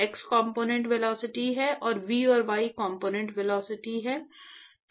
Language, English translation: Hindi, It is the x component velocity and v is the y component velocity